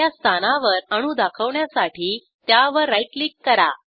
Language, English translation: Marathi, To display atoms on the first position, right click